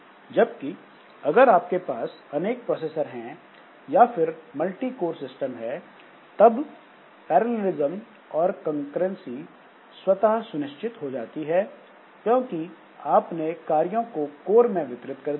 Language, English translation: Hindi, Whereas if you have got multiple processors, then of course or multi core system, then this parallelism and concurrency that is automatically ensured once you have distributed tasks among the course